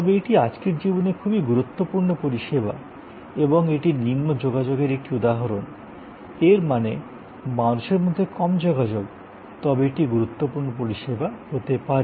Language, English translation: Bengali, And, but it is a very important service in the life of today and that is an example of low contact; that means, low human contact, but could be important service